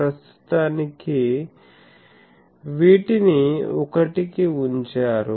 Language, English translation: Telugu, So, for the time being these are put to 1